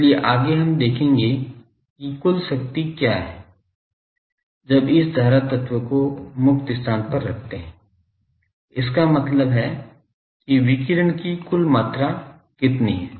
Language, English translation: Hindi, So, next we will do that what is the total power that, this current element is putting to free space; that means, what is the total amount of radiation taking place